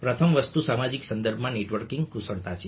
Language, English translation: Gujarati, the first thing is a networking skills within a social context